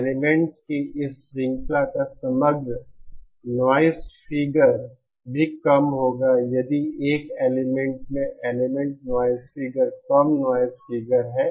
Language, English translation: Hindi, The overall noise figure of this chain of elements will also be low if the 1st element has a noise figure, low noise figure